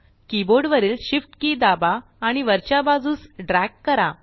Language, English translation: Marathi, Select the rectangle, press the Shift key on the keyboard and drag it upward